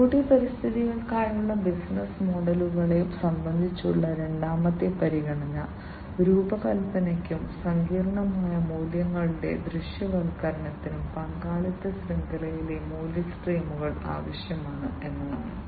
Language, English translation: Malayalam, The second consideration with respect to the business models for IoT environments is that there should be support for design as well as the visualization of complex values is value streams within the stakeholder network